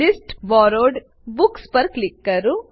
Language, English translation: Gujarati, Click on List Borrowed Books